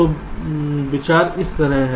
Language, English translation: Hindi, so the idea is like this